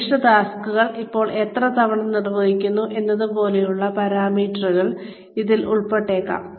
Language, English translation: Malayalam, Which may include parameters like, when and how often, specific tasks are performed